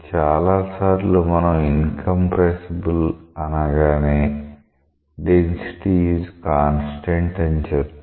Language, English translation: Telugu, Many times we loosely say incompressible means density is a constant